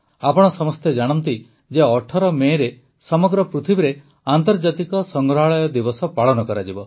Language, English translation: Odia, You must be aware that on the 18th of MayInternational Museum Day will be celebrated all over the world